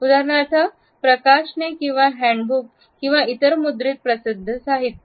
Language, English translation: Marathi, For example, the publications or handbooks or other printed publicity material